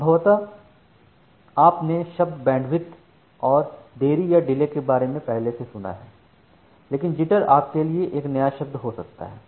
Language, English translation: Hindi, So, possibly you have heard about this term bandwidth and delay earlier, but jitter may be a new term for you